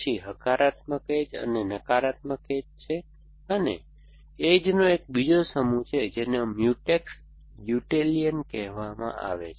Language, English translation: Gujarati, Then effects positive edges, it takes minus edges and one more set of edges, which is called Mutex Ulatian